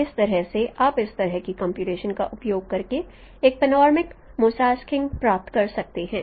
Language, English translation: Hindi, So that is how you can you can get a panoramic mosaic using this kind of computation